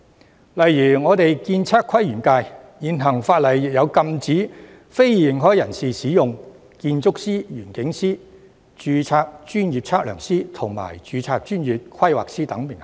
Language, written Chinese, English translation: Cantonese, 舉例說，我所屬的建測規園界的現行法例，亦禁止非認可人士使用建築師、園境師、註冊專業測量師及註冊專業規劃師等名銜。, For example the existing legislation governing the architectural surveying planning and landscape industry to which I belong also prohibits unauthorized persons from using titles such as architect landscape architect registered professional surveyor and registered professional planner